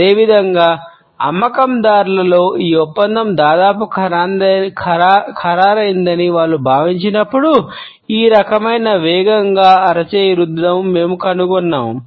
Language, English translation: Telugu, Similarly we find that in sales people this type of a quick hand rub is perceived when they feel that a deal is almost completely finalized